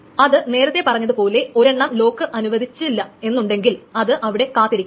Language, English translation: Malayalam, And as I said earlier that if a lock cannot be granted in this case it will just wait for that